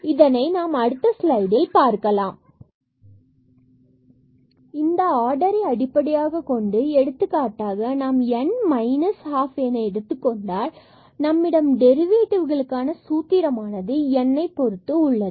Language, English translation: Tamil, So, based on these order for example, here it was n or here minus half we can have some formula for the derivative term in terms of this n